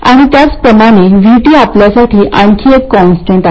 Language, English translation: Marathi, And similarly VT is another constant for us